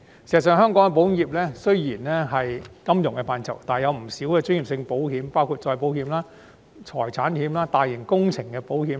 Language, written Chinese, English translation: Cantonese, 事實上，香港保險業雖然屬於金融範疇，但也有不少專業性保險，包括再保險、財險、產險及大型工程保險。, In fact although the insurance industry of Hong Kong is part of the financial services sector it also provides many specialized insurance services including reinsurance property insurance major project insurance